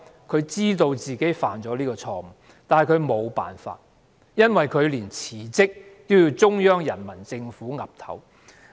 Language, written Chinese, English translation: Cantonese, 她知道自己犯下這錯誤，但她沒有辦法，因為連辭職也要得到中央人民政府批准。, She knew she had made this mistake but she could not help it because even her resignation had to be approved by the Central Peoples Government